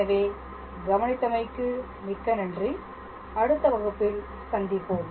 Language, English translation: Tamil, So thank you for attention and I look forward to your next class